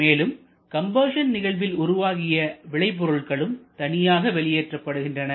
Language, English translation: Tamil, And the products of combustion that also comes out separately